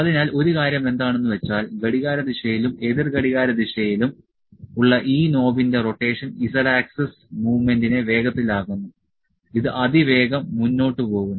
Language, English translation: Malayalam, So, only the thing is that rotation of this rotation of this knob anticlockwise and clockwise makes it to move makes the z axis this is fast forward